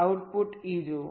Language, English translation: Gujarati, look at the output e